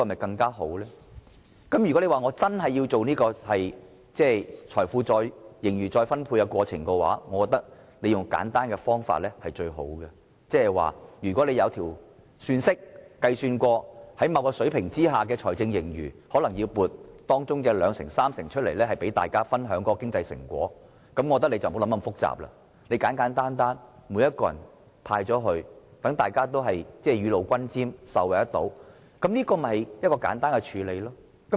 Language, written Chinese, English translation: Cantonese, 但是，如果司長真的要進行盈餘再分配，我覺得用簡單的方法是最好的，即是透過算式運算，如果出現某水平的財政盈餘，可能撥出當中的兩三成，讓大家分享經濟成果，我覺得不宜想得太複雜，簡簡單單，每個人也分享一部分，讓大家雨露均霑，人人受惠，簡單處理便可。, But if the Financial Secretary truly thinks that it is necessary to redistribute the wealth in surplus I think adopting a simple method is the best . In other words when the fiscal surplus reaches a certain level the Government can set aside 20 % to 30 % by means of a formula for the public as a way to share the economic return . I do not think we should make it too complicated